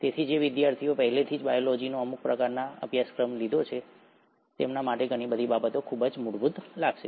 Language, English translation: Gujarati, So for those students who have already taken some sort of a course in biology, a lot of things will sound very fundamental